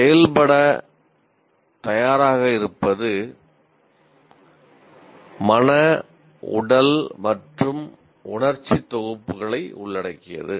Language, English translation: Tamil, See, readiness to act includes mental, physical and emotional sets